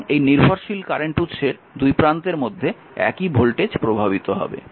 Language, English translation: Bengali, So, same voltage will be impressed across this your this your dependent current source